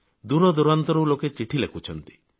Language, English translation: Odia, People are writing in from far and wide